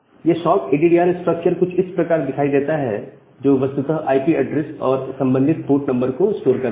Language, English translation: Hindi, So, the sockaddr structure looks something like this, which actually stores the IP address and the corresponding port number